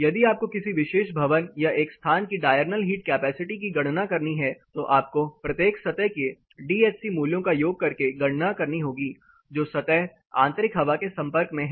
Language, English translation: Hindi, If you have to calculate the diurnal key capacity of a particular build form or a space you have to calculate it by talking a sigma or summing of the DHC values of each surface which is exposed to the interior air